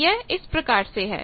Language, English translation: Hindi, So, if this is 1